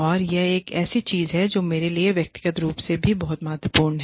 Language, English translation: Hindi, And, that is something, that is very important to me, personally also